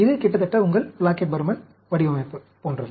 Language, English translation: Tamil, This is almost like your Plackett Burman design